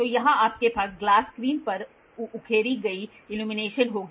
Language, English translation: Hindi, So, here you will have illumination engraved on the glass screen